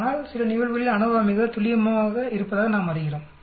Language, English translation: Tamil, But in some cases we find ANOVA may be more accurate